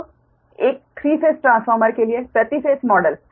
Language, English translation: Hindi, so the per phase model of a three phase transformer